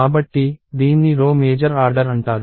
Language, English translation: Telugu, So, this is called row major order